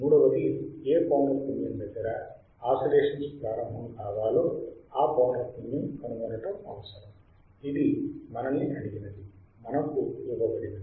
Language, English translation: Telugu, Third would be we required to find frequency at which the oscillations will start, this we are asked